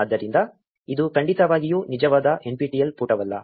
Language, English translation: Kannada, So, this is definitely not the real nptel page